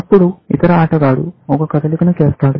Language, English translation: Telugu, Then, the other player makes a move